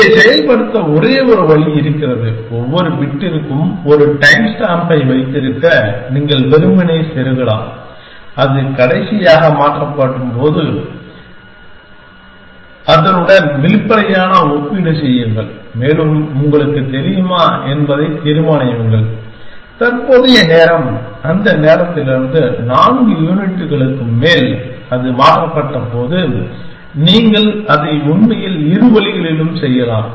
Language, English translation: Tamil, There is just one way of implementing this, you can insert simply for every bit keep a time stamp of when it was last changed and do an explicit comparison with that, and decide whether you know, the current time is more than four units from that time when it was changed, you could do it in either ways actually